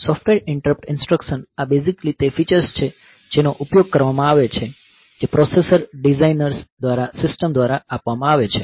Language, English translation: Gujarati, So, software interrupt instruction, these are basically the feature that is that are used by that are provided by the system by the processor designers